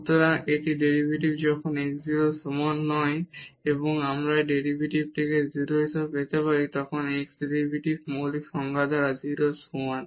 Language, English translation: Bengali, So, this is the derivative when x is not equal to 0 and we can get this derivative as 0 when x is equal to 0 by the fundamental definition of the derivative